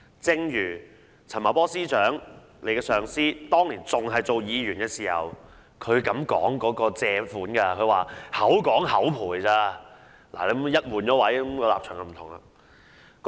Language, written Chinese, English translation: Cantonese, 正如局長的上司陳茂波司長當年擔任議員時，也說借款是"口講口賠"而已，一旦換位，立場已經不一樣。, When Secretary Paul CHAN the superior of the Secretary was a Member he has also said that borrowings were merely verbal promises . Once put in a different position the standpoint can be very different